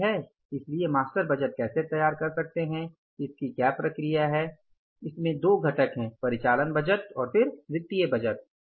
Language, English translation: Hindi, So, this is the process how we can prepare the master budget which has two components, operating budget and then the financial budget